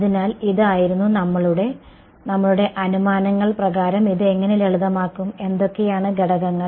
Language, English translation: Malayalam, So, this was our; how will this get simplified under our assumptions, what components